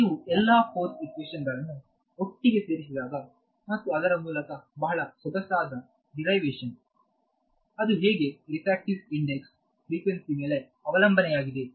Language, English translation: Kannada, So, when you put all the force equations together and work through it is a very elegant derivation which shows you that frequency, the frequency dependence of the refractive index it comes out over there